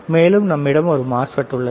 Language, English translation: Tamil, Now and you have a MOSFET